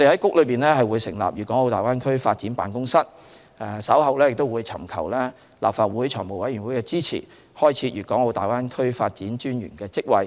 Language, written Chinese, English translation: Cantonese, 局內亦將成立粵港澳大灣區發展辦公室，稍後亦會尋求立法會財務委員會支持開設粵港澳大灣區發展專員的職位。, Our Bureau will set up a Greater Bay Area Development Office and will later seek support from the Finance Committee of the Legislative Council in creating the position of Commissioner for the Development of the Greater Bay Area